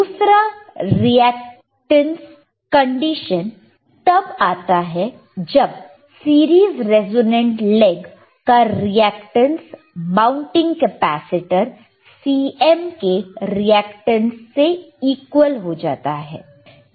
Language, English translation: Hindi, that oOther reactance condition which, occurs when reactance of series resonant laeg equals the reactance of the mounting capacitor C m right